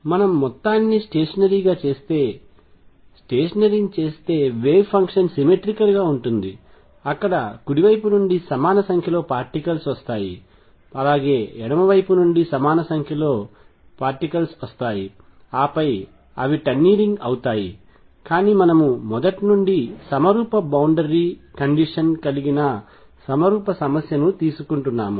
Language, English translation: Telugu, If we made the whole thing stationery then the wave function will be symmetric there will be equal number of particles coming to from the right, equal number particles coming from the left and then they will be tunneling through, but we are taking a symmetric problem a symmetric boundary condition right from the beginning